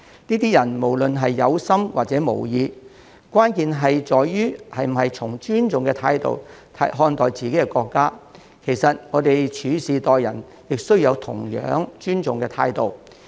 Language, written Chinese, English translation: Cantonese, 這些人無論是有心還是無意，關鍵在於是否以尊重態度看待自己的國家，其實在處事待人方面，也需要秉持同一尊重態度。, When determining whether certain acts be they done intentionally or not constitute violation of the law the crux lies in whether they are done by the persons concerned with an attitude of respect for their country and respect for others and for all things is in fact an attitude we should all uphold